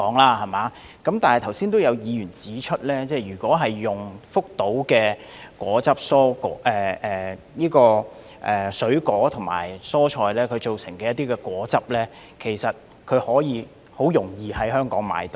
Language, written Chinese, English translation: Cantonese, 但是，剛才有議員指出，如果用福島的水果和蔬菜製成的果汁，其實很容易在香港購買得到。, However as just mentioned by a Member actually the juice produced from the fruits and vegetables imported from Fukushima can easily be bought in Hong Kong